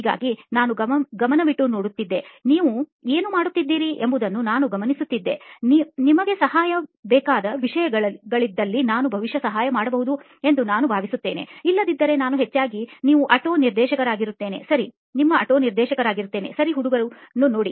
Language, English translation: Kannada, So I will be sort of a bug on the wall for most of the time I will just be observing what you guys are doing, in case there are things that you need help with I think that I can probably butt in and probably help, I will do that otherwise mostly you are sort of auto director, ok over see you guys